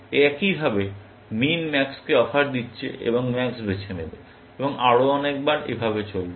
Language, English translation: Bengali, Likewise, min is making offers to max, and max will choose, and so on, and so forth